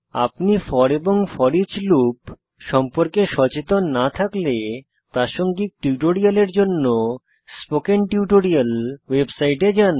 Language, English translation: Bengali, Please Note: If you are not aware of for and foreach loops, please go through the relevant spoken tutorials on spoken tutorial website